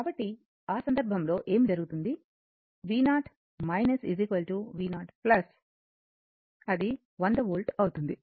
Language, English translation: Telugu, So, in that case what will happen v 0 minus is equal to v 0 plus, that will be your 100 volt